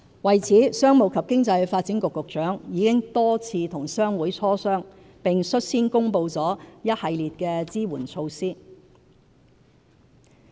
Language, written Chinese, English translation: Cantonese, 為此，商務及經濟發展局局長已多次與商會磋商，並率先公布了一系列支援措施。, To this end the Secretary for Commerce and Economic Development has met with trade associations several times and has just announced a host of supporting measures